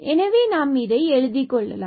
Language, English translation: Tamil, So, let us write down this here